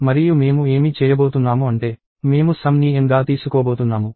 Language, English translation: Telugu, And what I am going to do is I am going to take N as sum